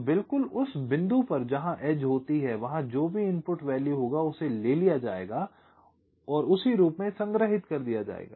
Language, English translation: Hindi, so exactly at the point where the edge occurs, whatever is the input value, that will be taken and the corresponding value will get stored